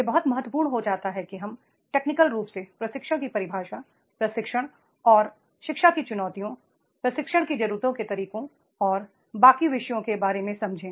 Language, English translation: Hindi, It becomes very very important that is we technically understand the definition of training, challenges in training, training and education, methods of training needs and the rest of the topics